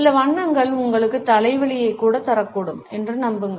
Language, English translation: Tamil, Believe it or not some colors can even give you a headache